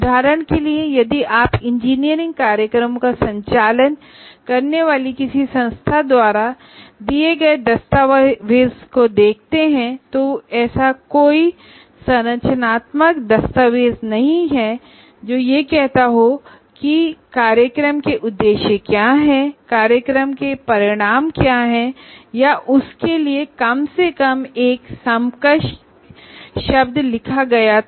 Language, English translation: Hindi, For example, if you look at any document given by any institution offering engineering programs, there is no framework document saying that what are the objectives of the program, what are the program outcomes or at least any equivalent word for that